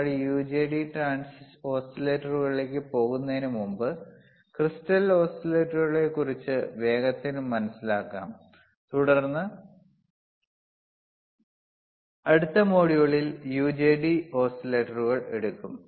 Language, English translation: Malayalam, or status b Before move before we move to UJT oscillators, let us understand quickly about crystal oscillators quickly and then we will take the UJT oscillators in the next module, we will see the UJT oscillators in the next module